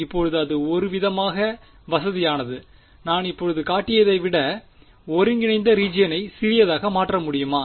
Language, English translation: Tamil, Now it’s sort of convenient can I make the region of integration smaller than what I have shown right now